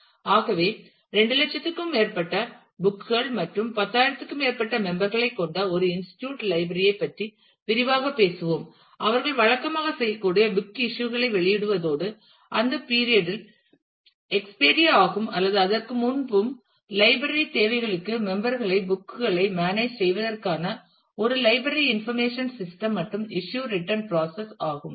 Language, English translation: Tamil, So, let me quickly go through this we are talking about an institute library that has over 2 lakh books and over 10,000 members who can use regularly issue the books on loan and return them on the expiry of the period or before that and the library needs a library information system to manage the books the members and as well as the issue return process